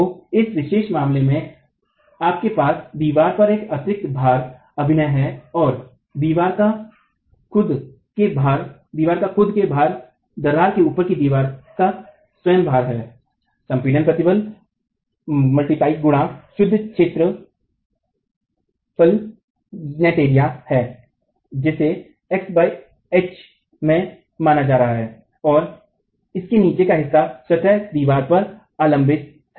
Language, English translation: Hindi, So, in this particular case, you have a superimposed load acting on the wall and then the self weight of the wall, self weight of the wall above the crack as the compressive stress into the net area that is being considered into x by H and the part below which is the rest of the wall itself